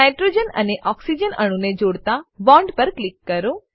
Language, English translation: Gujarati, Click on the bond connecting nitrogen and oxygen atom